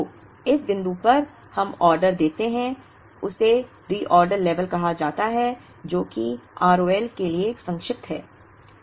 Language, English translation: Hindi, So, the point at which, we place the order is called the Reorder level, which is abbreviated to R O L